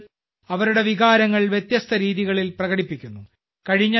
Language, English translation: Malayalam, People are expressing their feelings in a multitude of ways